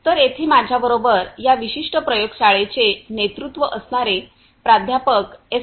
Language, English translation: Marathi, So, I have with me over here the lead of this particular lab Professor S